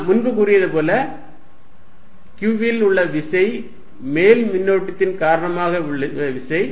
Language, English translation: Tamil, Now force, as we said earlier on q is going to be force due to upper charge